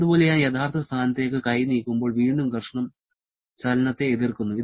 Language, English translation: Malayalam, Similarly, when I am moving the hand back into the original position, again friction is opposing the motion